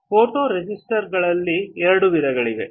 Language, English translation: Kannada, There are two types of photoresists